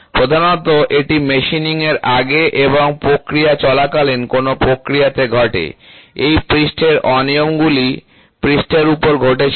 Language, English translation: Bengali, Predominantly, this happens on a process before machining and during the process of machining these surface irregularities happened on the surface